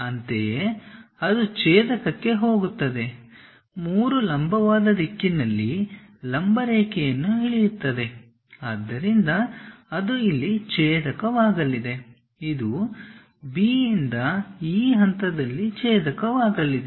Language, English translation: Kannada, Similarly it goes intersect there from 3 drop a perpendicular line in the vertical direction so it is going to intersect here, it is going to intersect at this point from B